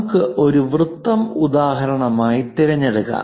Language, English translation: Malayalam, For example, this is another circle